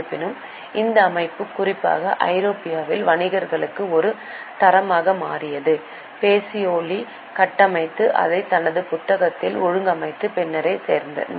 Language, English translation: Tamil, However, the system became a standard for merchants, especially in Europe, only after Pakioli structured and organized it in his book